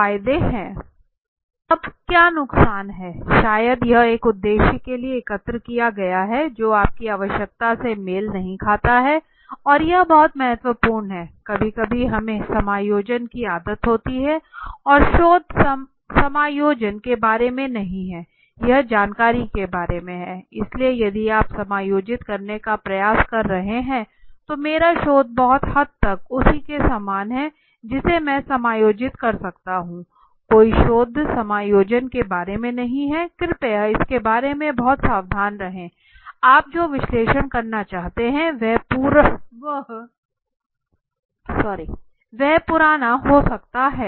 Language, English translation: Hindi, Now what are the disadvantages maybe it has been collected for a purpose that does not match your need this is important and very, very important why it is very important sometimes we do have an habit of adjusting and research is not about adjusting this is about knowing the right thing, so if you are trying to adjust okay my research is very similar to that I can adjust no, no research is not about adjustment please be very careful about it right maybe out of date for you what you want to analyze